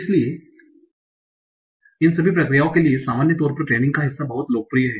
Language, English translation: Hindi, So in general among all these processes, so part of the switch tagging is very, very popular